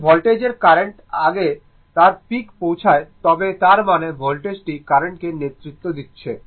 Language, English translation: Bengali, If voltage is reaching it is peak of before then the current; that means, voltage is leading the current right